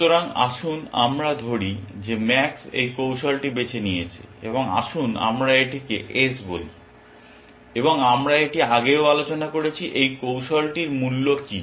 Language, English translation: Bengali, So, let us say, this strategy that max has chosen this strategy and let us call this S, and we have discussed this earlier, what is the value of this strategy